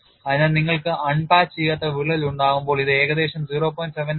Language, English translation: Malayalam, So, when you have a unpatched crack, it is about 0